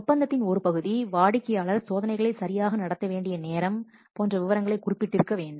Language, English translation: Tamil, Part of the contract would specify such details at the time that the customer will have to conduct the test